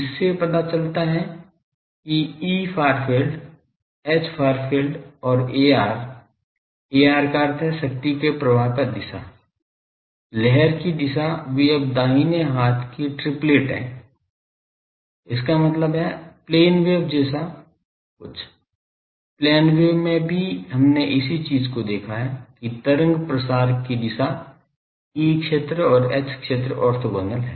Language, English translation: Hindi, This shows that E far field, H far field and a r, a r means the direction of power flow direction of wave, they are at right handed triplet now; that means, something like plane wave, in plane wave also we have seen the same thing the wave propagation direction E field and H field they are orthogonal